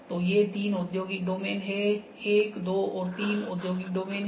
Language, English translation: Hindi, So, these three are the industrial domains 1, 2 and 3, three are the industrial domains